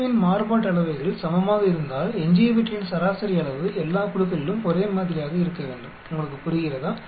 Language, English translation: Tamil, If the group variances are equal then the average size of the residual should be the same across all groups, do you understand